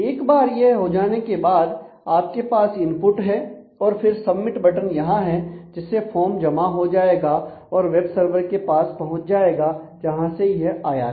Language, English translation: Hindi, And once this has been done then you have an input which is submit, which is the submit button here which shows that you can now submit and then this form filled up form will be sent back to the web browser from where it originally came